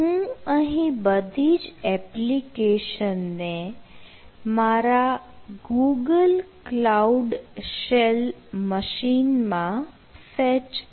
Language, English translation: Gujarati, so i will face all the application in my google cloud shell machine